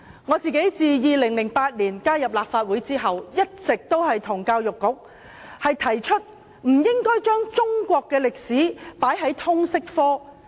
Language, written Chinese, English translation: Cantonese, 我自2008年加入立法會後，一直向教育局提出，中史不應納入通識科。, Since I became a Member of the Legislative Council in 2008 I have been urging the Education Bureau not to incorporate Chinese History into Liberal Studies